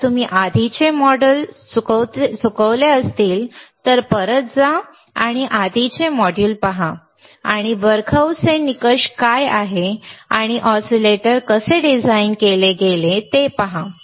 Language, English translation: Marathi, iIf you have missed the earlier modules, go back and see earlier modules and see how what are the bBarkhausen criteria is and how the oscillators were designed